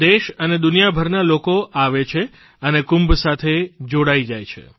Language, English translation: Gujarati, People from all over the country and around the world come and participate in the Kumbh